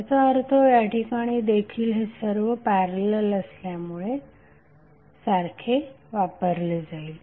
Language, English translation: Marathi, That means the same would be applied across this because all are in parallel